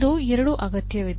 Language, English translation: Kannada, Both are required